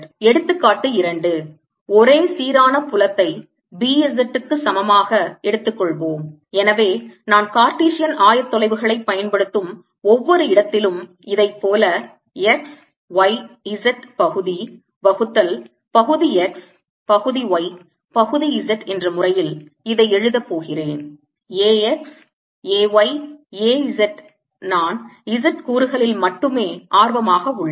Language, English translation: Tamil, example two: let us take a uniform field: b equals b, z, so that, like this, every where i am using cartesian coordinates i am going to write this as x, y, z, partial, by partial x, partial y, partial z, a, x, a, y a, z